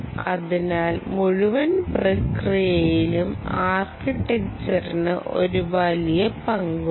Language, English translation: Malayalam, so architecture plays a huge role in the whole ah process